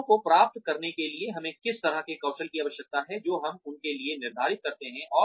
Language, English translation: Hindi, What kind the skills do we need them to have, in order to achieve the goals, that we set for them